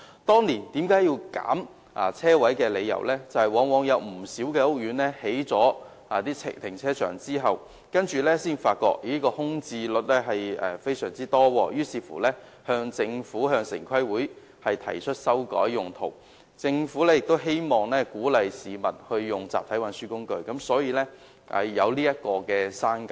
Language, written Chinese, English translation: Cantonese, 當年削減車位的理由是，不少屋苑興建停車場後才發現空置率非常高，於是向政府和城市規劃委員會提出修改用途，而政府亦希望鼓勵市民使用集體運輸工具，所以作出刪減。, The rationale behind the reduction at the time is that many housing estates with car parks recorded a high parking vacancy rate and they thus applied for changing the usage of the car parks to the Government and the Town Planning Board . On the other hand the Government also wanted to encourage people to use public transport modes